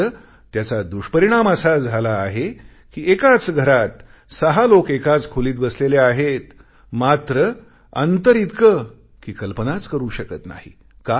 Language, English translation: Marathi, But the end result of this is that six people in the same house are sitting in the same room but they are separated by unimaginable distances